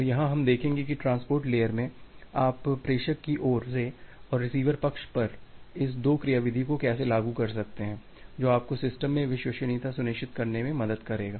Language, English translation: Hindi, And here we will see that in the transport layer, how can you implement this two mechanism at the sender side, and at the receiver side which will help you to ensure reliability in the system